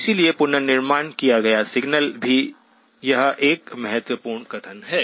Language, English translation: Hindi, So the reconstructed signal, this is an important statement